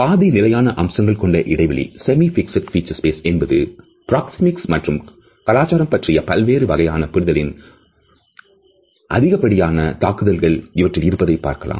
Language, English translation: Tamil, The semi fixed feature space is the one in which we find the maximum impact of different types of understanding of proxemics and culture